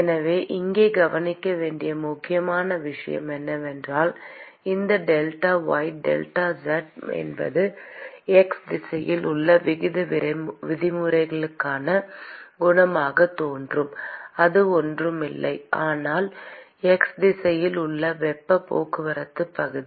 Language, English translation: Tamil, So, the important thing to observe here is that this delta y delta z which appears as a coefficient for the rate terms in x direction that is nothing, but the area of heat transport in the x direction